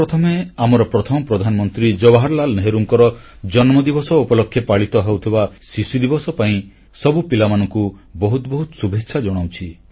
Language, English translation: Odia, First of all, many felicitations to all the children on the occasion of Children's Day celebrated on the birthday of our first Prime Minister Jawaharlal Nehru ji